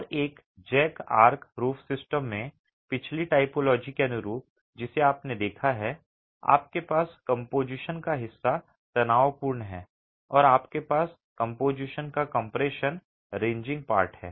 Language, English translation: Hindi, And in a jack arch roof system, in a way analogous to the previous typology that you have seen, you have a tension resisting part of the composition and you have a compression resisting part of the composition